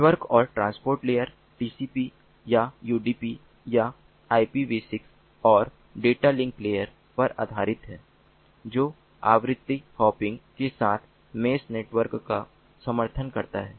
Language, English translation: Hindi, the network and transport layers are based on tcp or udp or ipv six, and the data link layer supports mesh networking with frequency hopping